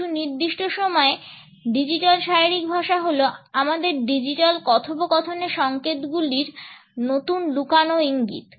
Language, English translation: Bengali, At a certain time and digital body language are the new hidden cues in signals in our digital conversations